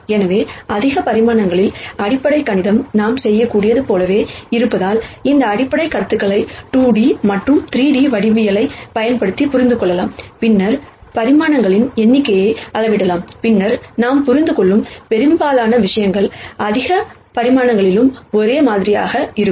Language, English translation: Tamil, So, in higher dimensions, nonetheless since the fundamental mathematics remain the same what we can do is, we can understand these basic concepts using 2 D and 3 D geometry and then simply scale the number of dimensions, and then most of the things that we understand and learn will be the same at higher dimensions also